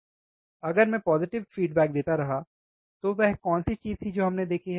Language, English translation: Hindi, Now, if I keep on going applying positive feedback, what was the thing that we have seen